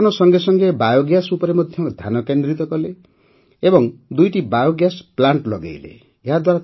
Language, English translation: Odia, Along with dairy, he also focused on Biogas and set up two biogas plants